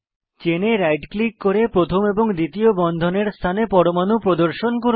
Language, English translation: Bengali, Right click on the chain to display atoms on first and second bond positions